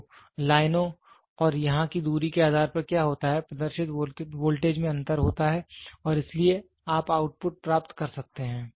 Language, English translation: Hindi, So, what happens based upon the lines and the distance here, there is difference in the voltage displayed and so, you can get the output